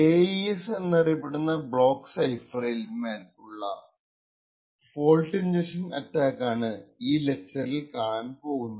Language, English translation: Malayalam, In this video we would look at fault injection attacks on a popular block cipher known as AES